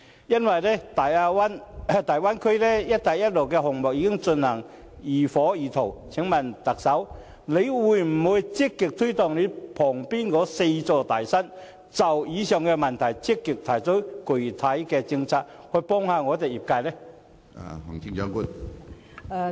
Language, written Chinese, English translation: Cantonese, 由於大灣區和"一帶一路"的項目已經進行得如火如荼，請問特首會否積極推動你旁邊的"四座大山"，就以上問題積極提出具體政策，以幫助業界呢？, As the Bay Area development and Belt and Road are being vigorously implemented will the Chief Executive actively remove the four mountains near you and formulate concrete policies on the above issues in order to support the sector?